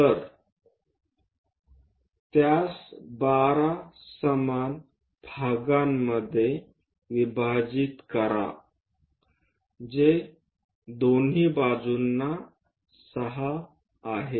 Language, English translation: Marathi, So, divide that into 12 equal parts which is 6 on both sides